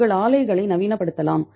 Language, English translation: Tamil, You can modernize your plants